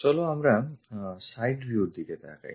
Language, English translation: Bengali, Let us look at from side view